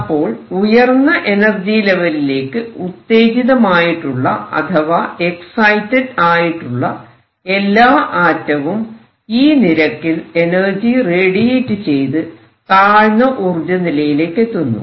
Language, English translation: Malayalam, So, all the atoms that have been excited to an upper level would radiate and come down to lower energy level and the rate would be like this